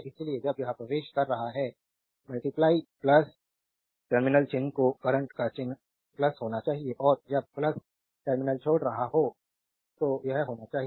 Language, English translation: Hindi, So, when it is entering into the plus terminal sign should sign of current should be plus and when is leaving the plus terminal it should be minus